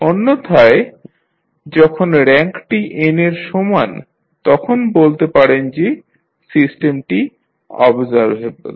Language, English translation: Bengali, Otherwise when the rank is equal to n you will say the system is observable